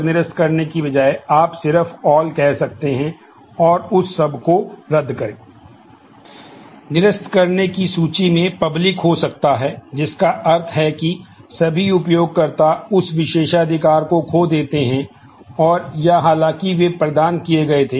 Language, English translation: Hindi, The list of revoking can include public which means all users lose that privilege and or though those were granted